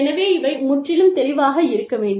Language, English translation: Tamil, So, these need to be absolutely clear